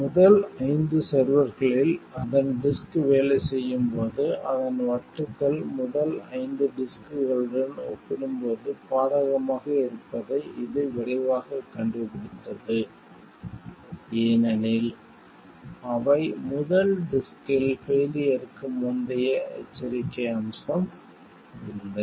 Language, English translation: Tamil, It quickly discovers that while its disk work on first five servers its disks are at disadvantage with compared to first five first disks, because they lacked a pre failure warning feature of the first disk